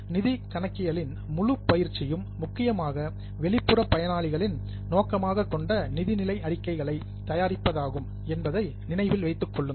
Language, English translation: Tamil, Keep in mind that the whole exercise of financial accounting is mainly for preparation of financial statements which are intended for external users